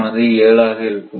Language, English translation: Tamil, So, N is equal to 2